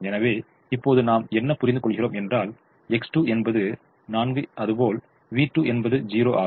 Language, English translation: Tamil, so now we realize that x two is four, v two is zero